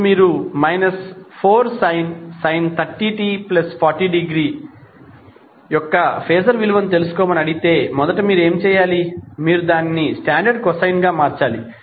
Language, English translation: Telugu, Now if you are asked to find out the phaser value of minus 4 sine 30 t plus 40 degree, first what you have to do, you have to convert it into a standard cosine term